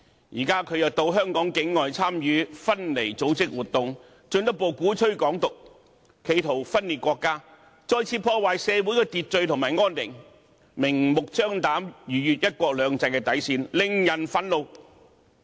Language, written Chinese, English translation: Cantonese, 現在，他又到香港境外參與分離組織活動，進一步鼓吹"港獨"，企圖分裂國家，再次破壞社會秩序和安寧，明目張膽，逾越"一國兩制"的底線，令人憤怒。, Now he participated in an event of separatist groups outside of Hong Kong to further advocate Hong Kong independence in an attempt to split the country and destroy again social order and harmony . It is infuriating that he blatantly overstepped the limit of one country two systems